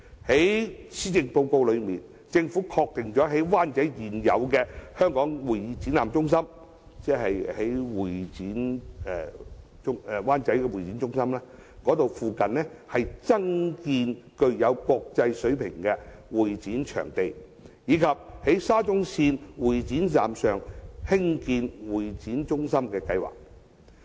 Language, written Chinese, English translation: Cantonese, 在施政報告中，政府確定了在灣仔現有的香港會議展覽中心附近，增建具有國際水平的會展場地，以及在沙中線會展站上興建會議中心的計劃。, In the Policy Address the Government affirms the plan to build a new CE venue of international standard in the proximity of the existing Hong Kong Convention and Exhibition Centre in Wan Chai and also the development of a new convention centre above the MTR Exhibition Station of the Shatin to Central Link